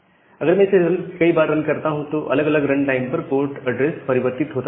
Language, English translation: Hindi, So, if I run it again multiple time at different time, the port address gets changed